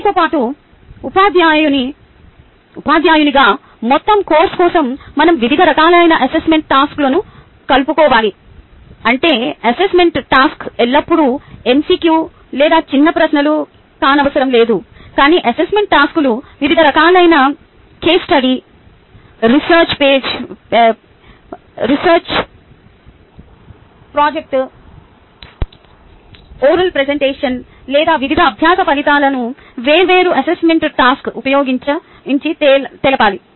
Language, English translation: Telugu, as a teacher, we should incorporate different types of assessment task, which means the assessment task need not always be either mcq or short questions, but the assessment tasks should cover different types, including, or it could be either a case study, research project, oral presentation, so that various learning outcomes are covered